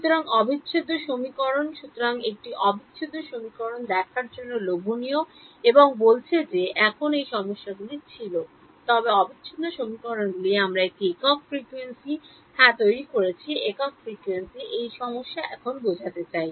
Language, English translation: Bengali, So, integral equations so, its slight its tempting to look at integral equations and say now this problems were there, but integral equations we formulated at a single frequency yeah at a single frequency this problem I mean now